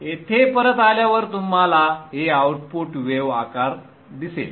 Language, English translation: Marathi, So coming back here you will see that this is the output wave shape